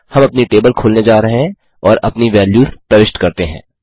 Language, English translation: Hindi, We are going to open up our table and input our values